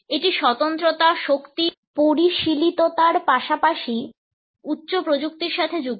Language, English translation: Bengali, It is associated with exclusivity, power, sophistication as well as high end technology